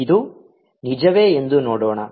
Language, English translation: Kannada, let us see this is true